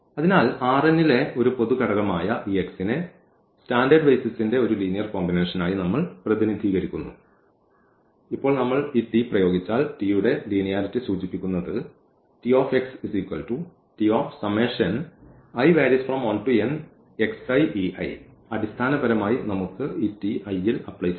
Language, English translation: Malayalam, So, this x which is a general element in R n we have represented as a linear combination of that those standard basis and now if we apply this T, the linearity of T will implies that T x T of x will be the T of this here the summation and basically we can take we can apply on this T i’s